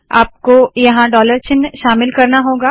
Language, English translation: Hindi, You need to include dollars here